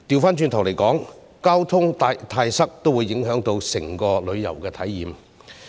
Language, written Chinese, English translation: Cantonese, 反過來說，交通過於擠塞也會影響整體的旅遊體驗。, Conversely traffic congestion will also affect the overall travel experience